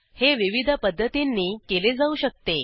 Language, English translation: Marathi, This can be done in multiple ways